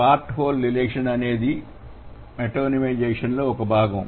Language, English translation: Telugu, So, part whole relation would be a part of metonymization